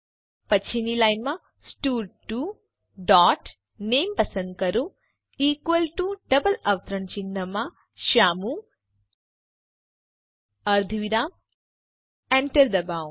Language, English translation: Gujarati, Next line stud2 dot select name equal to within double quotes Shyamu semicolon press enter